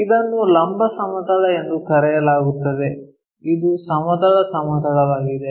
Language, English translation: Kannada, This is called vertical this is horizontal plane